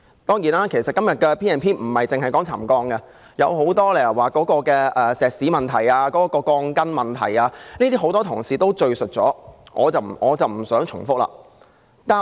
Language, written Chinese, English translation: Cantonese, 當然，今天的議案並不只討論沉降，還有石屎、鋼筋等許多其他問題，很多同事已論述這些問題，我不想重複。, Certainly the motion today is not simply about settlement . There are many other problems such as concrete steel reinforcement bars etc . Many Honourable colleagues have spoken on these problems so I am not going to repeat them